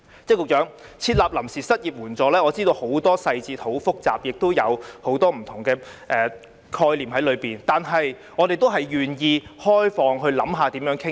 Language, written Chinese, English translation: Cantonese, 局長，要設立臨時失業援助金，我知道有很多細節，很複雜，當中亦有很多不同的概念，但我們也願意開放地討論。, Secretary I understand that a bunch of details will be involved in the establishment of unemployment assistance on a temporary basis and it will be very complicated as many different concepts will be entailed . Nevertheless we are also willing to discuss them with an open mind